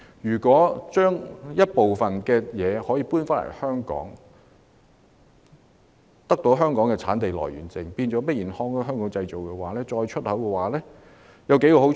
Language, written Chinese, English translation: Cantonese, 如果將部分工序遷回香港，取得香港的產地來源證，變成 Made in Hong Kong 後再出口，會有數個好處。, If some of the procedures are moved back to Hong Kong then the Certificate of Hong Kong Origin can be obtained . In this way the products are considered made in Hong Kong and we can export them . In that case there will be a number of advantages